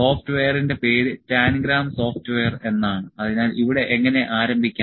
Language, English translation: Malayalam, The name of the software is Tangram software, so how to start here